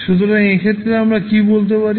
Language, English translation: Bengali, So, in this case what we can say